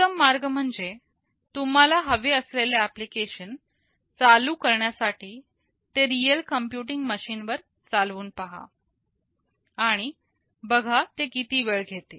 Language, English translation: Marathi, The best way is to run the application you want to run on a real computing machine and see how much time it takes